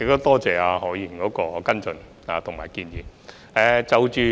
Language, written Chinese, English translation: Cantonese, 多謝何議員的補充質詢和建議。, I thank Dr HO for his supplementary question and suggestions